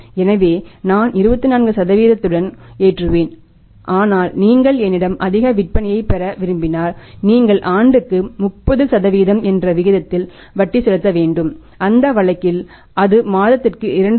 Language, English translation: Tamil, So, I will be loading with 24 % but if you want to have more sales on the credit for me you have to pay to the interest at the rate of 30% per annum and in that case that will increase to 2